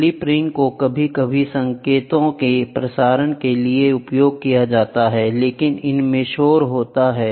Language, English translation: Hindi, The slip rings are sometimes used for trans for the transmission of signals, but they are prone for noise